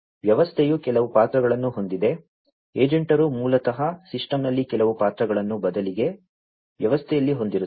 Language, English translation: Kannada, So, the system has certain roles, the agents basically will have certain roles on the system, in the system rather